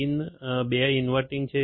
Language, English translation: Gujarati, Pin 2 is inverting